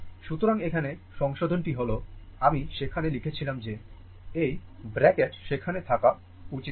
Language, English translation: Bengali, So, in this here, correction is I I wrote there that this bracket should not be there